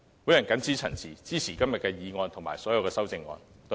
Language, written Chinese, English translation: Cantonese, 我謹此陳辭，支持今天的議案及所有修正案。, With these remarks I support the motion and all the amendments today